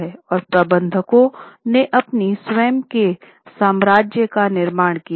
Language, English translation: Hindi, So, managers had built up their own empires